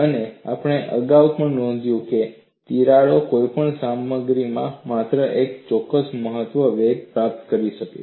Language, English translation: Gujarati, And we have also noted earlier, cracks can attain only a particular maximum velocity in any material